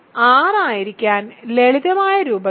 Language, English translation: Malayalam, To be in R, in the simplest form